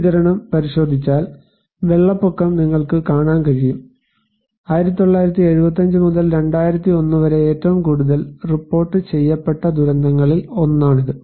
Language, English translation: Malayalam, If you look into this distribution, you can see that the flood; this is one of the most reported disasters from 1975 to 2001